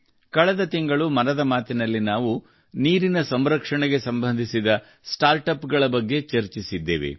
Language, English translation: Kannada, Last month in 'Mann Ki Baat', we had discussed about startups associated with water conservation